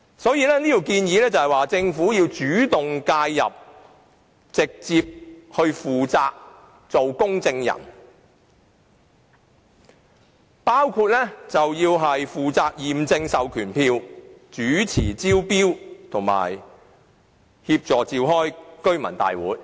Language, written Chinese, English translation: Cantonese, 因此，我們建議政府主動介入，負起直接的責任，擔任公證人角色，包括負責驗證授權書、主持招標，以及協助召開居民大會。, Therefore we call on the Government to intervene and bear direct responsibility by assuming the role of a notary including taking charge of the verification of proxy forms presiding over tender exercises as well as providing assistance in convening residents meetings